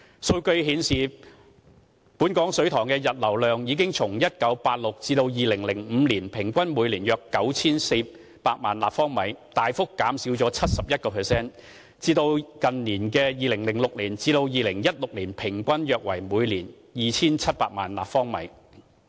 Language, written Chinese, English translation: Cantonese, 數據顯示，本港水塘的溢流量已從1996年至2005年平均每年約 9,400 萬立方米，大幅減少約 71%， 至近年2006年至2016年平均約為每年 2,700 萬立方米。, Data show that overflow from local reservoirs has been drastically reduced by about 71 % from an annual average of around 94 million cu m between 1996 and 2005 to around 27 million cu m in recent years